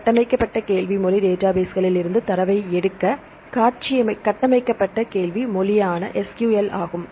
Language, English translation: Tamil, Structured Query Language the SQL that is structured query language to pick up the data from the database